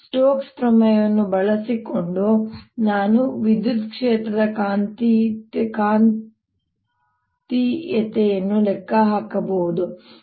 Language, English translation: Kannada, using stokes theorem, i can calculate the magnetic of the electric field